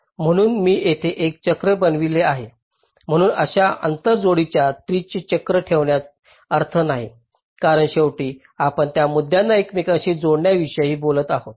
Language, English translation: Marathi, so there is no point in have a cycle in such an interconnection tree, because ultimately, we are talking about interconnecting these points